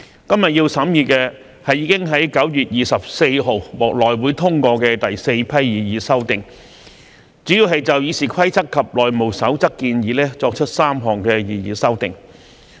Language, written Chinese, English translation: Cantonese, 今天要審議的，是已在9月24日獲內務委員會通過的第四批擬議修訂，主要就《議事規則》及《內務守則》建議作出3項擬議修訂。, Today we have to consider the fourth batch of proposed amendments passed on 24 September by the House Committee HC which mainly seeks to make three proposed amendments to RoP and House Rules HR